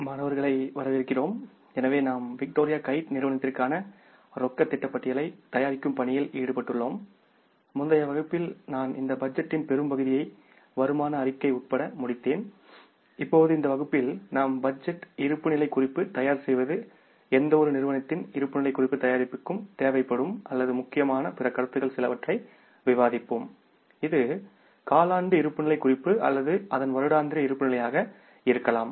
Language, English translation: Tamil, So, we are in the process of preparing the cash budget for the Victoria Kite Company and in the previous class I completed the larger part of this budget including the income statement and now in this class we will prepare the budgeted balance sheet and discuss some other important concepts which are required or which are important for the preparation of the balance sheet of any company, maybe it is a quarterly balance sheet or it is an annual balance sheet we will have to discuss that in detail